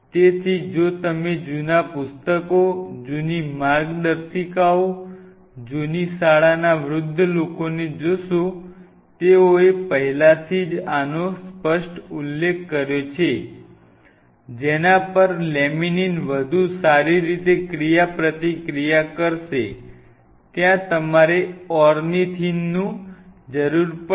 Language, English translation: Gujarati, So, if you see the old books, old manuals you will see the older guys from the old school they have already mentioned this very clearly you need it ornithine some positively charged there on which the laminin will interact better